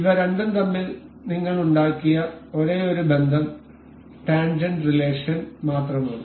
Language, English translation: Malayalam, Note that the only relation we have made between these two are the tangent relation